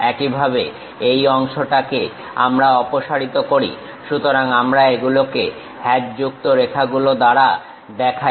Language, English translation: Bengali, Similarly this part we have removed it; so, we show it by hatched lines